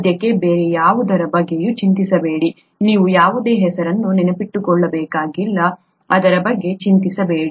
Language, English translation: Kannada, DonÕt worry about anything else for now, you donÕt have to remember any names, donÕt worry about it